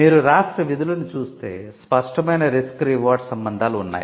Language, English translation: Telugu, If you see the functions of the state, there are clear risk reward relationships